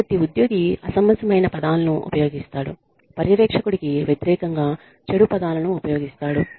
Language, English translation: Telugu, So, the employee uses, unreasonable words, uses bad words, against the supervisor